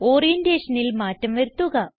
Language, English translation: Malayalam, Change the orientation 3